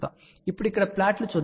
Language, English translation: Telugu, So, let us see the plot over here now